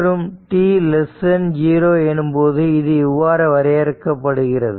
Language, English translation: Tamil, Now, if it is advanced by t 0 how it will look like